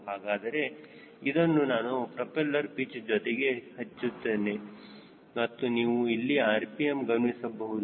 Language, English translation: Kannada, so i am pulling this on this propeller pitch and you watch the rpm here